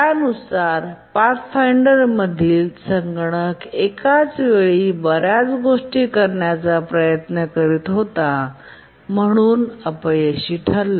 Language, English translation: Marathi, Some other newspapers reported that the computer in the Pathfinder was trying to do too many things at once and therefore was failing and so on